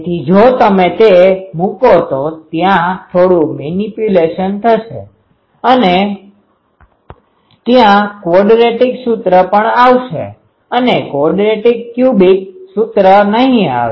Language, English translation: Gujarati, So, if you put it there will be a bit manipulation and also there is a quadratic expression will come, not quadratic cubic expression will come